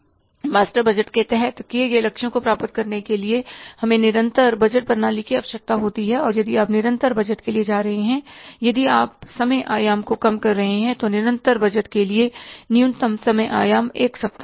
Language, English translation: Hindi, To achieve the targets decided under the master budget, we need the continuous budgeting system and if you are going for the continuous budgeting, if you are reducing the time horizon, minimum time horizon for the continuous budgeting is one week